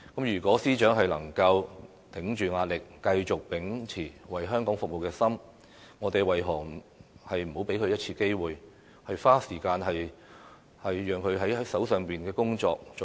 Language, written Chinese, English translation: Cantonese, 如果司長能夠頂着壓力，繼續秉持為香港服務的心，我們為何不能給她一次機會，花時間做好手上的工作？, If the Secretary for Justice can withstand pressure and continue to be determined to serve Hong Kong why cant we give her a chance and allow her to spend some time performing the tasks at hand?